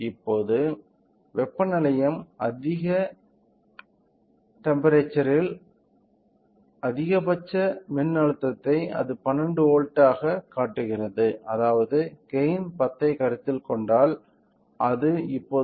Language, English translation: Tamil, So, now, the heating station is heated to little high temperature the maximum voltage it is showing it of 12 volts which means that it is right now at if we consider the gain of 10, it is at 120 degree centigrade